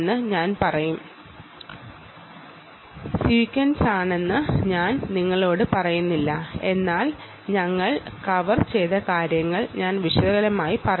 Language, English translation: Malayalam, i am not telling you is sequence, but i am just telling you broadly what we covered